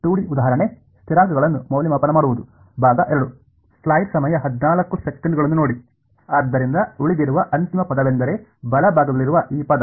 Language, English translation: Kannada, So, the final term that remains is this term on the right hand side ok